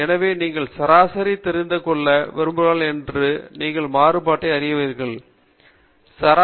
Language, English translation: Tamil, So you would like to know the mean and you would like to know the variance